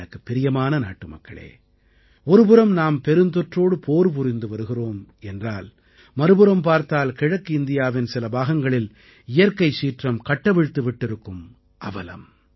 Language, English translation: Tamil, on one hand we are busy combating the Corona pandemic whereas on the other hand, we were recently confronted with natural calamity in certain parts of Eastern India